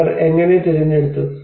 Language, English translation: Malayalam, How they have chosen